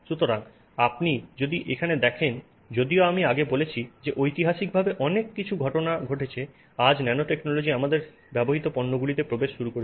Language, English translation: Bengali, So, if you see here even though I said historically many things have happened, today nanotechnology has started getting into products, products that we are using so to speak